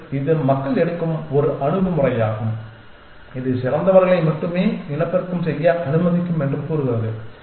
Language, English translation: Tamil, And this is the one approach that people take just say only allow the best people to reproduce